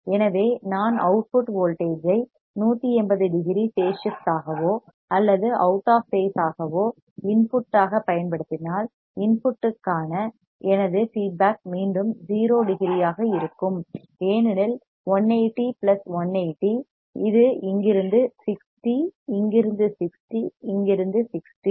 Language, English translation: Tamil, So, if I apply output voltage which is 180 degree of phase shift or out of phase with input then my feedback to the input will again be a 0 degree because 180 plus 180, this is 60 from here, 60 from here 60 from here